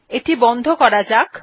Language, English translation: Bengali, So close this